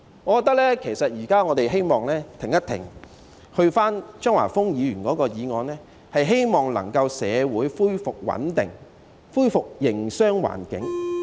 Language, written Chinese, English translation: Cantonese, 我認為其實我們現在應停一停，正如張華峰議員的議案目的，希望社會能夠恢復穩定，恢復營商環境。, I think actually we should pause for a while now . We hope that stability and the business environment can be restored in society which is also the objective of Mr Christopher CHEUNGs motion